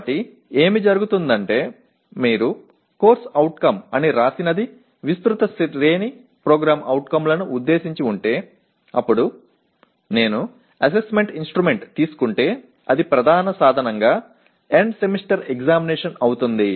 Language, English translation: Telugu, So what can happen is if whatever you have written as CO addressing a wide range of POs then if I take the Assessment Instrument which happens to be the main instrument happens to be End Semester Examination